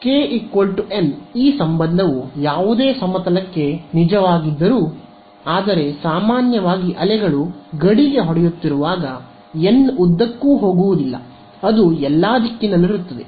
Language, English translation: Kannada, So, when k hat is equal to n hat this relation is true for any plane where, but in general the waves hitting the boundary are not going to be along n hat they will be along any direction